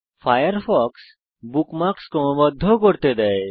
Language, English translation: Bengali, Firefox also allows you to sort bookmarks